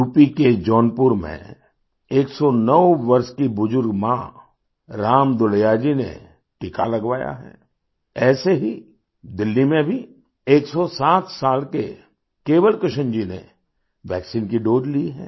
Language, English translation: Hindi, 109 year old elderly mother from Jaunpur UP, Ram Dulaiya ji has taken the vaccination; similarly 107 year old Kewal Krishna ji in Delhi has taken the dose of the vaccine